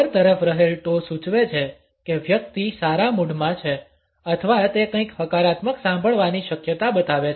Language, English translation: Gujarati, Toes pointing upwards suggest that the person is in a good mood or is likely to hear something which is positive